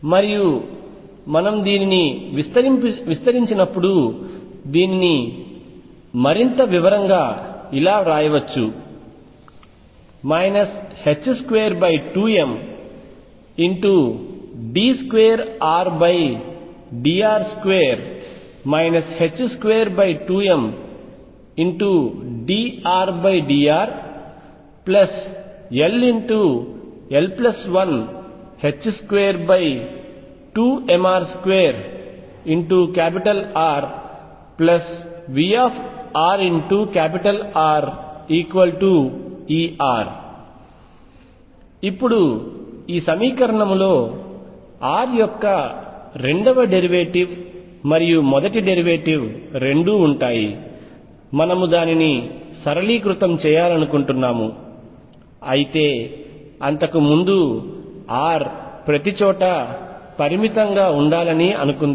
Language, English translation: Telugu, And this can be written further as minus h cross square over 2 m d 2 R over dr square minus h cross square over m r d R over dr plus L l plus 1 over 2 m r square R plus v r R equals E R when we expand this Now, this equation involves both the second derivative and first derivative r; we would like to simplify it but before that let us say that R should be finite everywhere